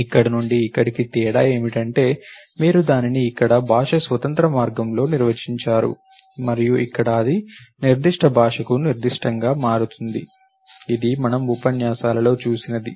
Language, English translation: Telugu, So, from here to here the difference is essentially that you defined it in a language independent way over here and here it becomes specific to the particular language, this is what we saw in the lectures